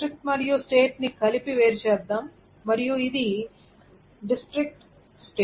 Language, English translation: Telugu, So let us isolate district and state together and this is so town and state